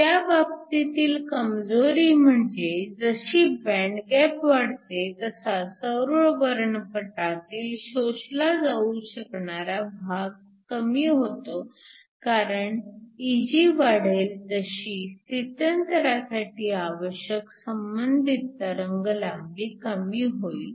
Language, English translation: Marathi, The drawback in that case is that as your band gap increases, the region of the solar spectrum that is being absorbed will decrease because as Eg increases, the corresponding wavelength for the transition will decrease